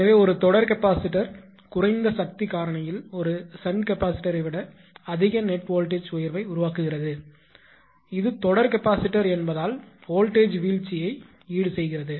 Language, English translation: Tamil, So, also a series capacitor produces more net voltage rise than a shunt capacitor at lower power factor; naturally because it is a series capacitor is basically compensating the voltage drop